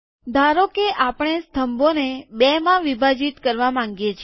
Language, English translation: Gujarati, Suppose that we want to split the columns in two